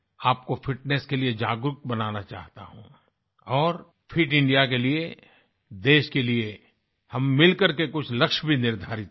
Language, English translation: Hindi, I want to make you aware about fitness and for a fit India, we should unite to set some goals for the country